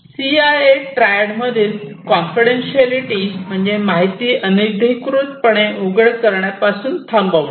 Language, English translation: Marathi, So, confidentiality in the CIA Triad stops from unauthorized disclosure of information